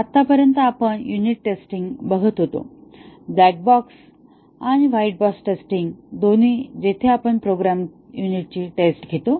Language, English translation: Marathi, So far we have been looking at unit testing, both black box and white box testing where we test a program unit